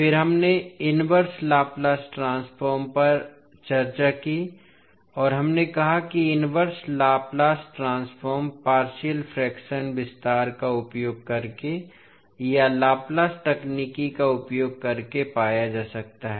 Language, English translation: Hindi, Then we discussed the inverse Laplace transform and we said that the inverse Laplace transform can be found using partial fraction expansion or using Laplace transform pairs technique